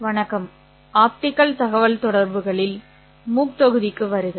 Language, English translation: Tamil, Hello and welcome to the MOOC module on optical communications